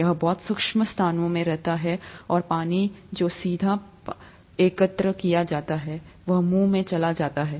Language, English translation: Hindi, It lives in very arid places and the water that is collected directly goes into it's mouth and so on